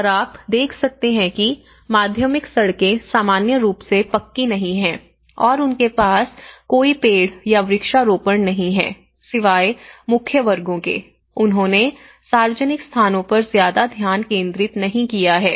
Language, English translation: Hindi, And which has been you know, you can see the secondary roads are not normally paved and they do not have any trees or plantation except for the main squares they have not concentrated much on the public spaces